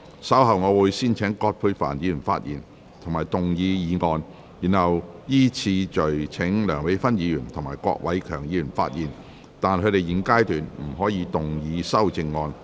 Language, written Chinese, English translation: Cantonese, 稍後我會先請葛珮帆議員發言及動議議案，然後依次序請梁美芬議員及郭偉强議員發言，但他們在現階段不可動議修正案。, Later I will first call upon Ms Elizabeth QUAT to speak and move the motion . Then I will call upon Dr Priscilla LEUNG and Mr KWOK Wai - keung to speak in sequence but they may not move their amendments at this stage